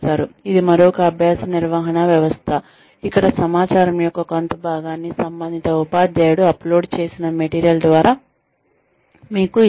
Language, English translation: Telugu, That is another learning management system, where part of the information is given to you, by the teacher concerned, through the material, that is uploaded